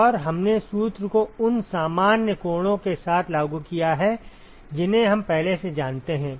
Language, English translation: Hindi, And we have just applied the formula with the normal angles that we already know